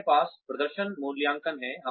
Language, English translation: Hindi, We have performance appraisals